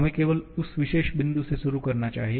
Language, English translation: Hindi, Let us just start from that particular point onwards